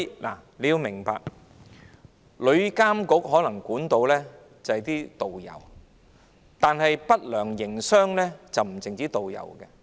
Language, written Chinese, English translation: Cantonese, 大家要明白，旅監局可能可以監管導遊，但不良營商者不僅是導遊。, We must understand that TIA may be authorized to regulate tourist guides but tourist guides are not the only ones engaging in unscrupulous operations